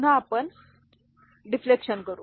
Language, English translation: Marathi, Again, we will do the deflection